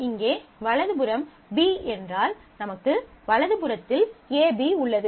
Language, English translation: Tamil, So, in case the right hand side here is B, you have AB on the right hand side